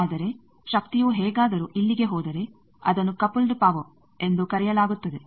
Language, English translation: Kannada, But the power if that some how goes here then that is called coupled power